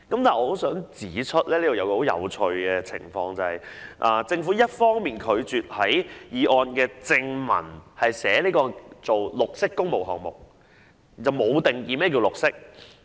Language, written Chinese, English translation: Cantonese, 但我想指出一個十分有趣的情況，就是政府一方面拒絕在決議案正文訂明"綠色工程項目"，卻未有定義何謂"綠色"。, But I wish to point out a very interesting situation which is the Governments refusal to set out green public works projects in the body text of the Resolution on the one hand while leaving green undefined